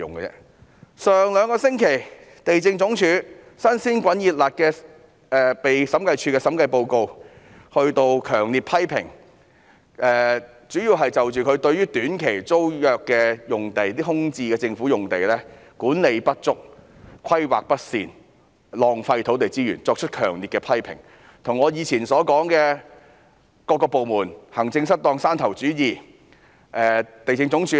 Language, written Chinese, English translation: Cantonese, 兩星期前，審計署署長發表了針對地政總署的新報告書，主要是強烈批評署方對於政府空置用地的短期租約管理不足、規劃不善及浪費土地資源，這些與我過往批評各個部門行政失當，以及有山頭主義的問題一樣。, Two weeks ago the Director of Audit published a new report targeting the Lands Department LandsD which strongly criticizes LandsD s deficiencies in the management of short - term tenancies of vacant government sites as well as its poor planning and wastage of land resources . These are the same as my previous criticism of various departments for maladministration and provincialism